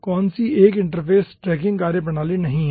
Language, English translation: Hindi, 1 is not an interface tracking methodology